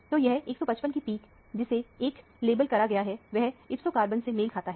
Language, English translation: Hindi, So, this 155 peak, which is labeled as 1 corresponds to the ipso carbon